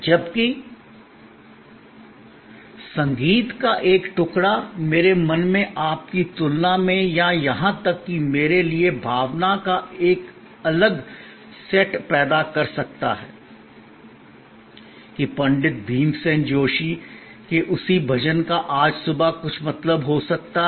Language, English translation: Hindi, Whereas, a piece of music may evoke a different set of emotion in my mind compare to yours or even to me that same bhajan from Pandit Bhimsen Joshi may mean something this morning